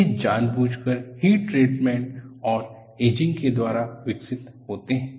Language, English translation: Hindi, They are purposefully developed by heat treatment and ageing